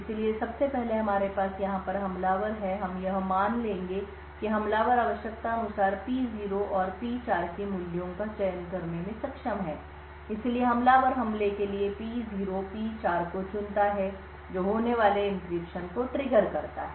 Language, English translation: Hindi, So, first of all we have the attacker over here and we will assume that the attacker is able to choose the values of P0 and P4 as required, so the attacker chooses P0, P4 for attack, triggers an encryption to occur